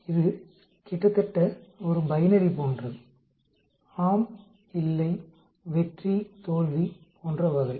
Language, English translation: Tamil, It is almost like a binary yes, no, success, failure type of thing